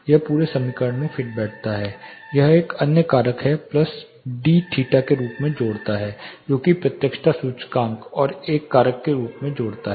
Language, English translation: Hindi, This fits in to this whole equation the same equation, it adds as another factor plus DI theta that is directivity index adds up as another factor